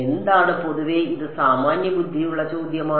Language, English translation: Malayalam, What is a common this is a common sense question